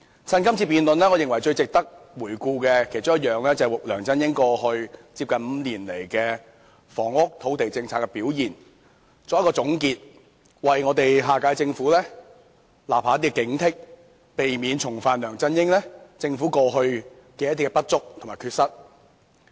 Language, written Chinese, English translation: Cantonese, 我認為，最值得趁着這次辯論回顧的其中一件事，便是為梁振英在過去5年的房屋、土地政策的表現作總結，為下屆政府立下警惕，避免重犯梁振英政府以往的不足和缺失。, In my opinion one of the things worth reviewing in this debate is the summary of his performance in housing and land policies during the past five years which can serve as a warning to the next Government so that it can avoid the deficiencies and mistakes of the past LEUNG Chun - ying Government